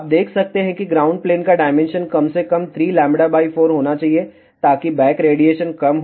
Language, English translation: Hindi, You can see that, the ground plane dimensions should be at least three fourth of lambda, so that the back radiation is reduced